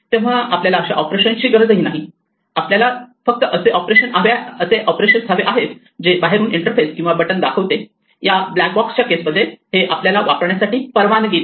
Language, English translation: Marathi, So we do not want such operations, we only want those operations which the externally visible interface or the buttons in this case of the black box picture allow us to use